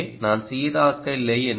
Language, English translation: Tamil, so i am not being consistent